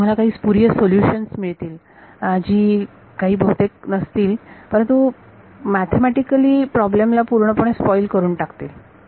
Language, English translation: Marathi, So, you get some spurious solutions which are not physical, but mathematically they end up spoiling the problem